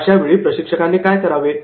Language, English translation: Marathi, Now what trainer does